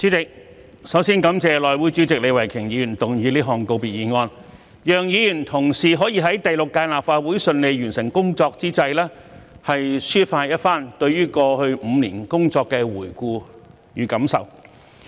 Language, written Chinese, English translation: Cantonese, 主席，首先我感謝內務委員會主席李慧琼議員動議這項告別議案，讓議員同事可以在第六屆立法會順利完成工作之際，抒發一番對於過去5年工作的回顧與感受。, President first of all I thank Ms Starry LEE Chairman of the House Committee for moving the valedictory motion so that we can give a review and share our feelings towards the work in the past five years upon the smooth conclusion of the work of the Sixth Legislative Council